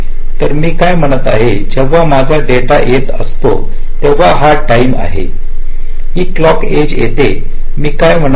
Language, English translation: Marathi, so what i am saying is: whenever i have a data coming so this is time the clock edge is coming what i am saying: i must keep my data stable